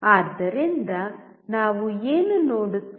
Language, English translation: Kannada, So, what do we see